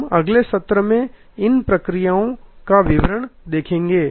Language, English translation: Hindi, We will see details of these processes in the next session